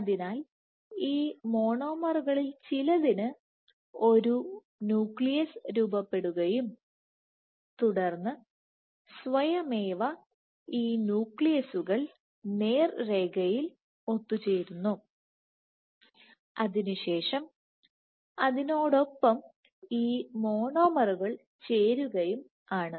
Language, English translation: Malayalam, So, what you first need is the formation of a nucleus for some of these monomers and then, And then spontaneously these nuclei assemble in straight line and in then you have these monomers getting added and so these monomers then come